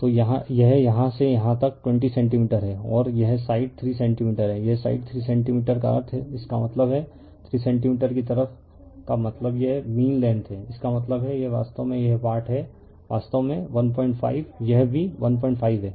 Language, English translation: Hindi, So, this is from here to here 20 centimeter and this 3 centimeter side, it 3 centimeter side means that is; that means, 3 centimeter side means this mean length; that means, this is actually this portion actually 1